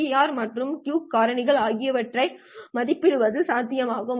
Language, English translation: Tamil, It is also possible to estimate the BER as well as the Q factor